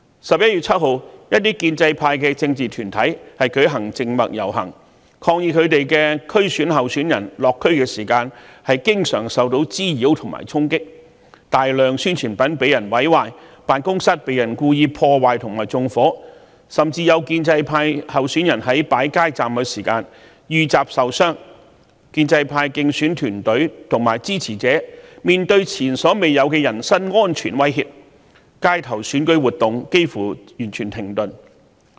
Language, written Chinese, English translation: Cantonese, 11月7日，一些建制派政治團體舉行靜默遊行，抗議他們的區議會選舉候選人落區時經常受到滋擾和衝擊，大量宣傳品被毀壞，辦公室被故意破壞和縱火，甚至有建制派候選人在擺設街站時遇襲受傷，建制派競選團隊和支持者面對前所未有的人身安全威嚇，街頭選舉活動幾乎完全停頓。, On 7 November some political groups of the pro - establishment camp conducted a silent march to protest against frequent harassment and disturbance to their DC Election candidates when they conducted community visits . While many of their publicity materials were destroyed their offices were deliberately vandalized and set on fire and some candidates of the pro - establishment camp were even attacked and injured at street booths . Electioneering teams and supporters of the pro - establishment camp were faced with unprecedented threats to their personal safety and electioneering activities on the street have almost come to a complete halt